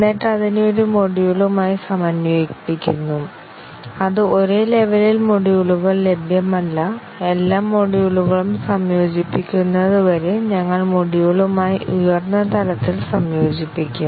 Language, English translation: Malayalam, And then integrate it with one module, which is at the same level or there are no modules available in the same level, we integrate with the module in the higher level and so on until all the modules are integrated